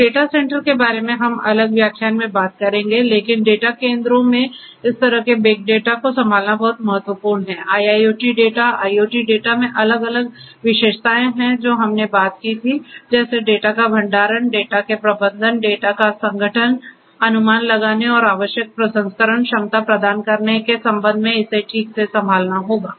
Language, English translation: Hindi, So, data centre we are going to talk about in depth in another lecture, but handling this kind of big data at the data centres is very important, IIoT data IoT data having different characteristics that we spoke about just now will have to be handled properly handling with respect to the storage of the data, management of the data, organisation of the data, estimating and providing necessary processing capacity this will also have to be done